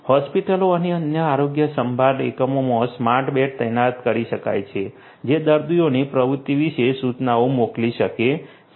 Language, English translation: Gujarati, In hospitals and other health care units smart beds can be deployed which can send notification about the patients activity